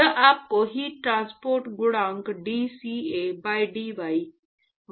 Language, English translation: Hindi, This will give you the heat transport coefficient dCA by dy, at y equal to 0